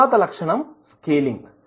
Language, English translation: Telugu, So, next is the scaling